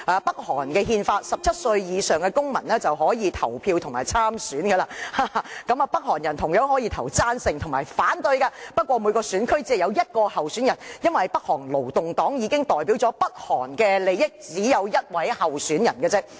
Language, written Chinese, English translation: Cantonese, 北韓的憲法規定17歲以上的公民已經可以投票和參選，北韓人同樣可以投贊成票和反對票，不過每個選區只有一名候選人，因為北韓勞動黨已經代表北韓的利益，故只需要一位候選人。, Still there is a one person one vote element in its election as all North Korean at the age of 17 or above can cast their votes and stand for election under the countrys constitution . North Korean can choose to cast their supporting or opposing votes but there is only one candidate in each constituency . There is no need to have more than one candidate in each constituency because the Workers Party of Korea can fully represent the interest of North Korea